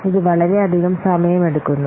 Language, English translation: Malayalam, So, it is very much time consuming